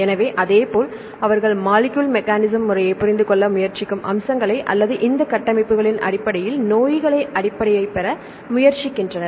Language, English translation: Tamil, So, likewise, they try to get the features they try to understand the molecular mechanism or the basis of the diseases based on this structures